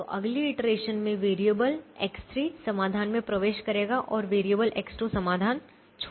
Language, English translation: Hindi, so in the next iteration variable x three will enter the solution and variable x two will leave the solution